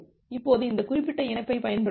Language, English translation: Tamil, Now it will use this particular link